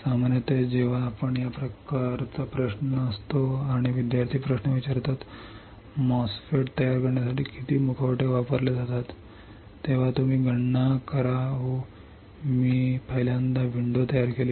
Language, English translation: Marathi, What we will do is generally when this kind of question is there and students ask question, how many masks are used for fabricating a MOSFET, then you calculate oh this was first time I create a window